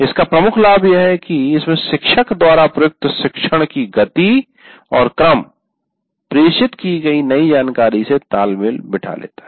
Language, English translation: Hindi, The major advantage of this is the pace and the sequence followed by the teacher generally syncs with the delivery of new information